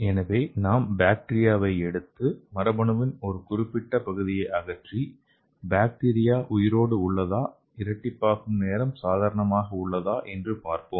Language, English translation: Tamil, So we can take the bacteria okay and remove a particular part of gene and just check it whether the bacteria is viable and the doubling time is normal so then only you can proceed to next step